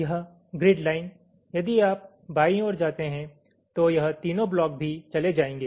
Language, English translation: Hindi, if you move to the left, all this three blocks will also move